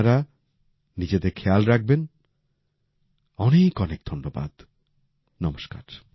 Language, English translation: Bengali, Take care of yourself, thank you very much